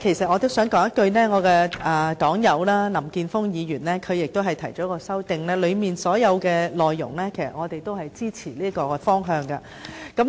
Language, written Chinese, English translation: Cantonese, 我的黨友林健鋒議員就議案提出了修正案，當中所有的內容同樣支持議案提出的方向。, My party comrade Mr Jeffrey LAM has proposed an amendment to the motion and it content - wise also supports the direction proposed in the motion